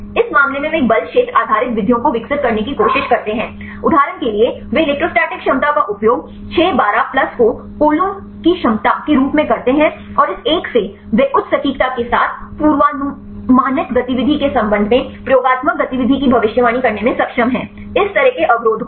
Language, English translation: Hindi, In this case they try to develop a force field based methods; say for example, they use the electrostatic potentials 6 12 plus as the coulomb potential and from this one; they are able to predict the experimental activity with respect to the predicted activity with the high accuracy; in this type of inhibitors